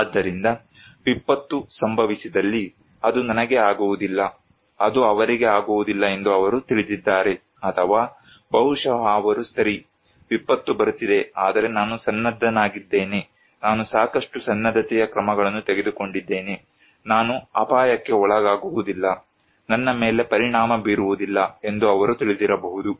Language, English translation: Kannada, So, if disaster happened, they know that it will not happen to me, it would not happen to them, or maybe they are knowing that okay, disaster is coming but I am prepared, the preparedness measures I took enough so, I would not be at risk okay, I would not be impacted